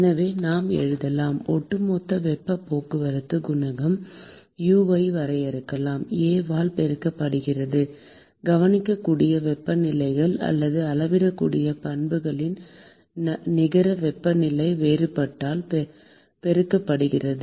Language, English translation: Tamil, So, we could write, we could define an overall heat transport coefficient U, multiplied by A, multiplied by the net temperature difference of the observable temperatures or measurable properties